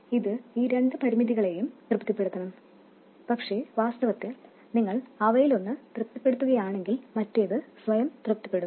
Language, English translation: Malayalam, It should satisfy these two constraints, but actually we see that if you satisfy one of them, others will be automatically satisfied